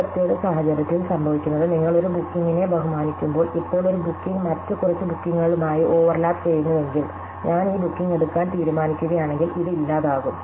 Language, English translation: Malayalam, So, in this particular case, what happens is that when you honour a booking, now if a booking happens to be overlapping with a few other bookings, then if I decide to take this booking, then this goes away